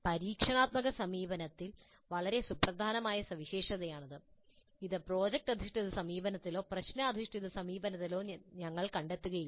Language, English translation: Malayalam, This is a very distinguishing feature of experiential approach which we will not find it in project based approach or problem based approach